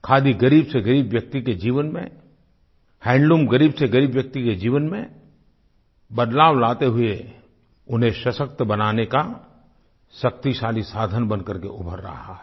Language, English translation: Hindi, Khadi and handloom have transformed the lives of the poorest of the poor and are emerging as a powerful means of empowering them